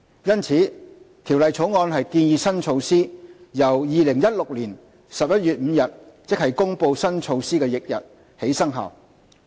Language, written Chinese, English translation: Cantonese, 因此，《條例草案》建議新措施由2016年11月5日，即公布新措施翌日起生效。, Hence we propose in the Bill that the new measure take effect on 5 November 2016 the day immediately following the announcement of the new measure